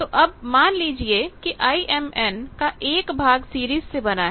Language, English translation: Hindi, Now, let us say that IMN built of 1 part in series